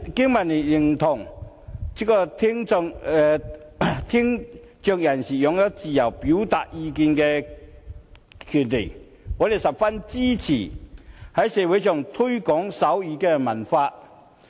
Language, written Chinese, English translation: Cantonese, 經民聯認同聽障人士擁有自由表達意見的權利，我們十分支持在社會上推廣手語文化。, BPA agrees that people with hearing impairment have the right to freely express their views . We strongly support the promotion of sign language culture in society